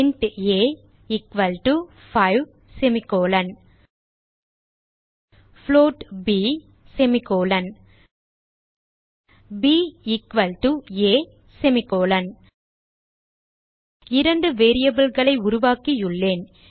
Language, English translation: Tamil, int a equal to 5 float b b equal to a I have created two variables